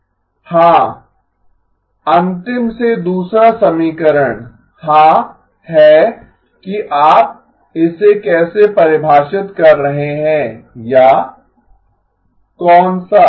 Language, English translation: Hindi, ” Yeah, the second last equation, yes, is that how you are defining it or, which one